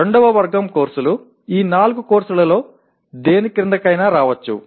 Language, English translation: Telugu, The second category of courses can come under any of these four classes